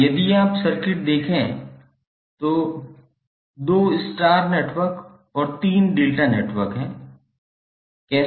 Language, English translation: Hindi, Now if you see the circuit, there are 2 star networks and 3 delta networks